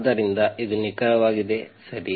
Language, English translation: Kannada, So this is exactly is this, right